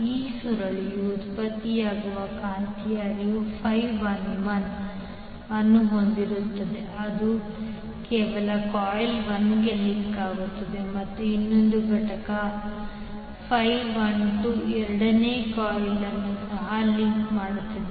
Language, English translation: Kannada, So if you see the magnetic flux generated in this particular coil has phi 11 which is link to only coil 1 and another component phi 12 which links the second coil also